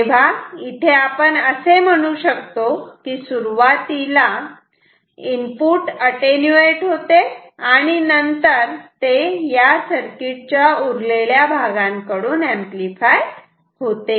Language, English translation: Marathi, So, we can say that the input voltage is first getting attenuated and then getting amplified by the rest of the circuit